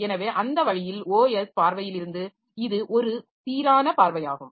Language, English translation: Tamil, So, that way from the OS viewpoint, so this is an uniform view